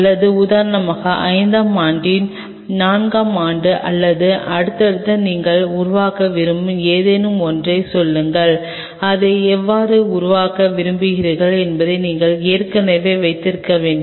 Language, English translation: Tamil, Or say for example, fourth year of fifth year down the line or in next any you want to develop, and you have to have the provision already there how you want to develop it